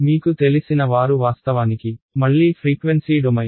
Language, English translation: Telugu, Those of you who are familiar with it is actually frequency domain again